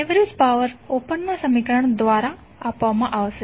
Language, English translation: Gujarati, Average power would be given by this particular equation